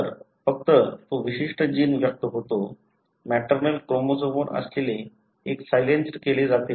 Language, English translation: Marathi, So, only that particular gene is expressed; the one that is located on the maternal chromosome is silenced